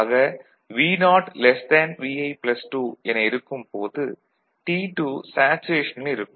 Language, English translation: Tamil, So, when this Vo is greater than Vi minus 2, the saturation for T1 occurs ok